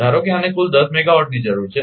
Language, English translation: Gujarati, Suppose it total this needs 10 megawatt right